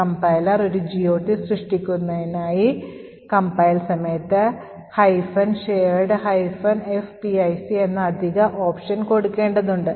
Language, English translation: Malayalam, Now, in order that the compiler generates a GOT table, we need to specify additional option at compile time which is minus shared minus fpic